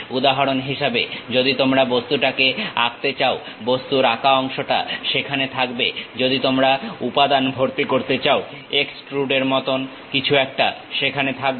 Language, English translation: Bengali, For example, you want to sketch the object, that object sketch portion will be there, you want to fill the material, something like extrude will be there